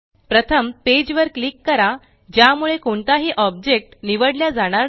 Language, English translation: Marathi, First click on the page, so that none of the objects are selected